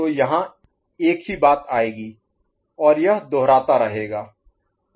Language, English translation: Hindi, So same thing will come over here and it will keep repeating